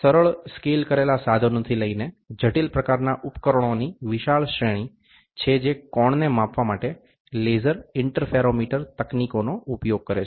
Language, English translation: Gujarati, There is a wide range of instruments that instruments from simple scaled instrument to complex types that uses laser interferometer techniques for measuring the angle